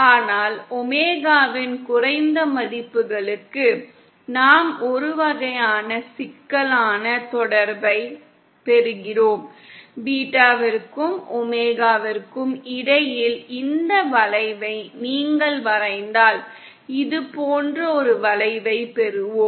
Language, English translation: Tamil, But for low values of omega, we get a kind of complex relationship and if you plot this curve between beta and omega, then we get a curve like this